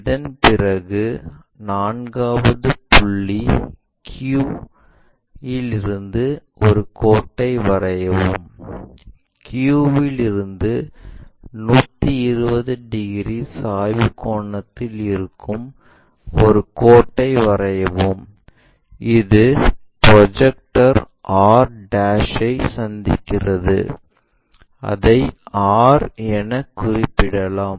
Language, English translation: Tamil, After that the fourth one, draw a line from point q, from q draw a line which is at 120 degrees inclination angle in that way, 120 degrees for that and it meets the projector r', this is the projector line at this location and call r